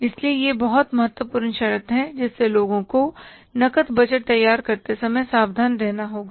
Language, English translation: Hindi, So, very important condition which we have to be careful while preparing the cash budget